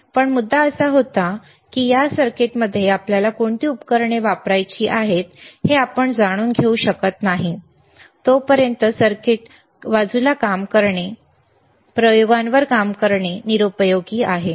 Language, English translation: Marathi, But the point was that, until and unless you are able to know that what are the equipment’s that we have to use with this circuit, it is useless to start you know working on experiments, working on the circuit side,